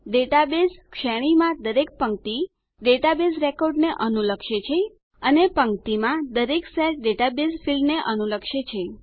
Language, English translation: Gujarati, Each row in this database range corresponds to a database record and Each cell in a row corresponds to a database field